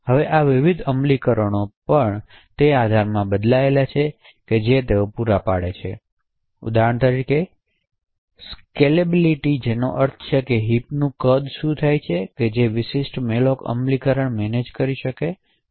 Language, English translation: Gujarati, Now these different malloc implementations also vary in the support that they provide for example the scalability which means what is the size of the heap that the particular malloc implementation can manage